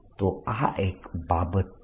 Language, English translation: Gujarati, so that's one